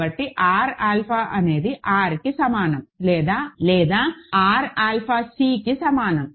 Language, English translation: Telugu, So, R alpha is equal to R or R alpha is equal to C